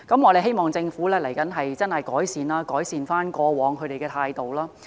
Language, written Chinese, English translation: Cantonese, 我希望政府未來會認真改善過往的態度。, I hope that the Government will seriously improve its previous attitude in the future